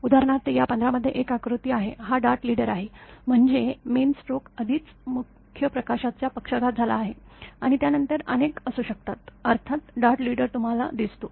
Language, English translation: Marathi, For example, there is one diagram at this 15; this is the dart leader, I mean main stroke already main lighting stroke already has happened and after that there may be many; with a smaller strength of course, dart leader also you can see it